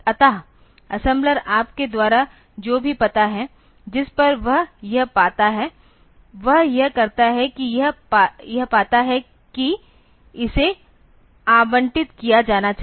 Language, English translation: Hindi, So, what the assembler will do whatever you the address at which it find this finds it finds that it should be allocated to